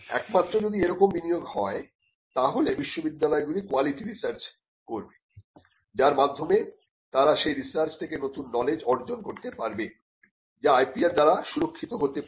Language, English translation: Bengali, Only if that investment is made will universities be doing research and quality research of by which they could be new knowledge that comes out of that research, which could be protected by intellectual property rights